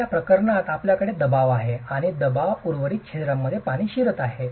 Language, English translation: Marathi, So, in this case you have pressure and water is entering the remaining pores under pressure